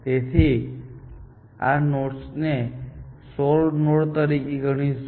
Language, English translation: Gujarati, So, we will treat those nodes as solve nodes